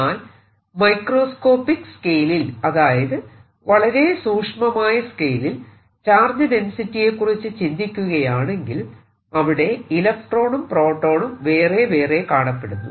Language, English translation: Malayalam, however, if i go to microscopic scale, right, for example, if i go in charge density to very small scale, i see electrons, protons separately